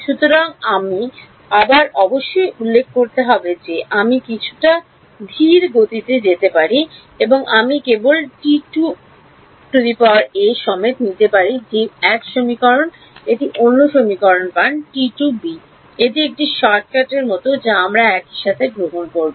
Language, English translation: Bengali, So, once again I must mentioned that I could go in a in a slightly slower manner, I could just take T a 2 ones that 1 equation, take T take T take T b 2 ones get another equation this is like a shortcut that we do we will take at the same time